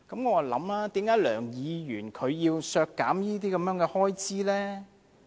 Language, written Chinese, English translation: Cantonese, 我在想，為何梁議員要削減這些開支呢？, I just wonder why Mr LEUNG wants to cut the expenditure?